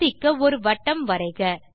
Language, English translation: Tamil, Lets draw a circle